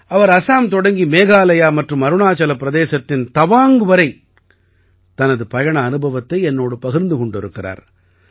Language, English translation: Tamil, She narrated me the experience of her journey from Assam to Meghalaya and Tawang in Arunachal Pradesh